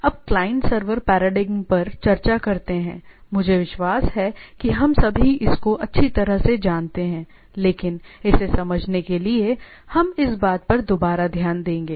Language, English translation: Hindi, Now this client server paradigm is I believe that well known to all of us, but it is for the sake of understanding, we will relook at the thing